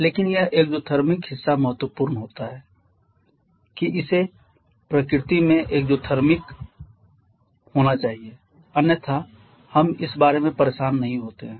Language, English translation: Hindi, But this exothermic part is important it has to be exothermic in nature otherwise we do not bother about this